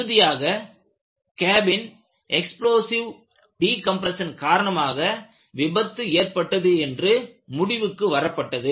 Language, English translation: Tamil, So,the conclusion was that the failure was due to explosive decompression the cabin